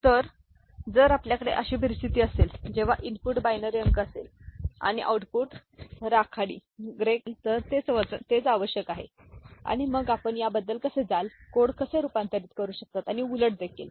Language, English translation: Marathi, So, if we have a situation where the input is binary digit and the output is gray code that is what is required and then how we go about it, how we can get a the codes converted and also vice versa